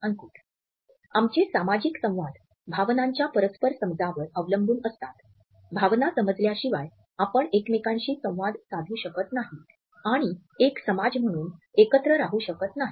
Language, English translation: Marathi, Our social interactions are dependent on the mutual understanding of emotions, without understanding the emotions we cannot interact with each other and coexist as a society